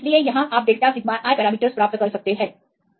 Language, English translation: Hindi, So, here you can get the delta sigma i parameters